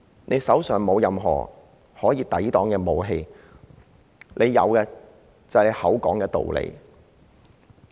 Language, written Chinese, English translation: Cantonese, 他手上沒有任何可以用作抵擋襲擊的武器，有的只是道理。, He was not armed to protect himself from attack . He was only armed with his justifications